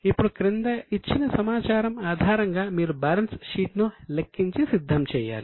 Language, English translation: Telugu, Now on the basis of information given below you have to calculate and prepare the balance sheet